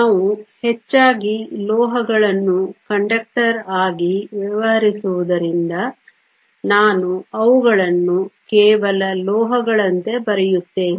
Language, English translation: Kannada, Since we will be mostly dealing with metals as conductors, I will also write them as just metals